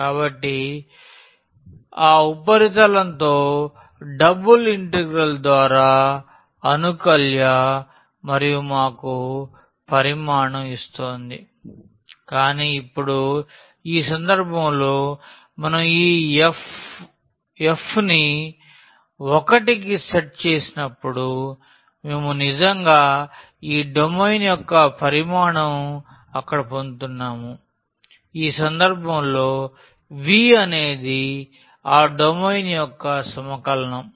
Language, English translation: Telugu, So, the double integral with that integrand that surface and was giving us the volume but, now in this case when we set this f to 1 then we are getting actually the volume of this domain there; the domain of the integration which is denoted by V in this case